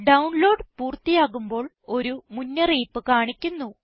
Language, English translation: Malayalam, Once the download is complete, a warning message window appears